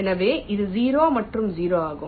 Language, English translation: Tamil, so it is zero and zero